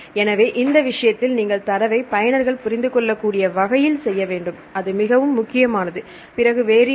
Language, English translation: Tamil, So, in this case you have to make in such a way that, the user should understand your data that is very important then it what else